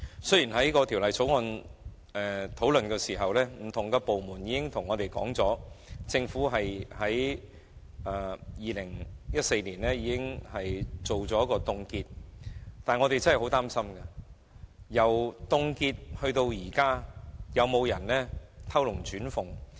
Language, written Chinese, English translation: Cantonese, 雖然在《條例草案》的商議過程中，不同的部門均表明政府已於2014年進行凍結，但我們真的很擔心，因為由凍結至今，究竟有沒有人偷龍轉鳳？, Although different departments had indicated during the scrutiny of the Bill that a cut - off time was set in 2014 we are very concerned if there is any under - the - table transaction since then